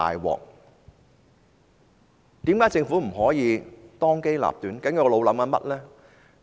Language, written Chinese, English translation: Cantonese, 為何政府不可以當機立斷呢？, Why did the Government not make a prompt decision?